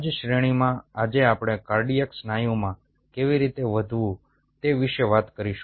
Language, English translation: Gujarati, in the same line, today we will talk about how to grow the cardiac muscle